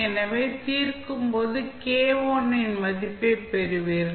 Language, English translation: Tamil, So, when you solve, you will get simply the value of k1